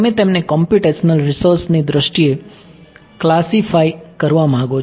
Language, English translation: Gujarati, You want to classify them in terms of computational resources